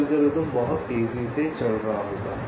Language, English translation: Hindi, so the algorithm will be running much faster